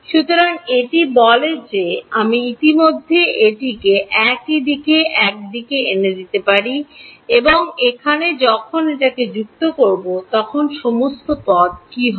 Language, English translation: Bengali, So, this says that I can just bring it already on one side f prime of over here, so what all terms will have when I add it over here